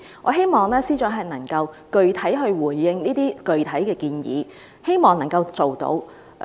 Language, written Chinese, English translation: Cantonese, 我希望司長能夠具體回應這些具體的建議，希望能夠落實。, I hope that the Chief Secretary for Administration can specifically respond to these concrete proposals which I hope can be implemented